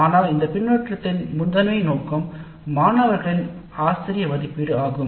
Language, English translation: Tamil, But the primary purpose of this feedback is faculty evaluation by the students